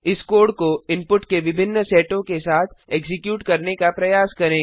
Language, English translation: Hindi, Try executing this code with different set of inputs